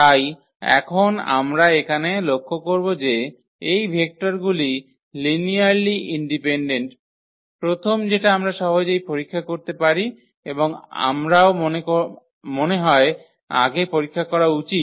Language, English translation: Bengali, So now, we will notice here that these vectors are linearly independent; first that we can easily check out and we have I think checked before as well